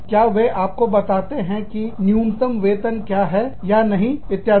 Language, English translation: Hindi, Do they tell you, what is the minimum salary, or not, etcetera